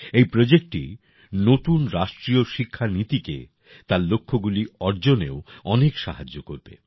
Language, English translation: Bengali, This project will help the new National Education Policy a lot in achieving those goals as well